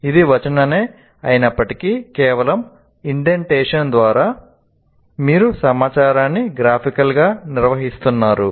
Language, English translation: Telugu, Though this is text, but by just indentation you are graphically organizing the information